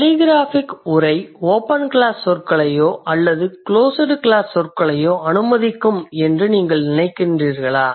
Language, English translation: Tamil, So, what do you think telegraphic speech will allow the open class words or the closed class, open class words or the closed class words